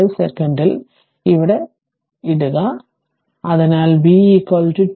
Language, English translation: Malayalam, 5 second, so v at t is equal to 0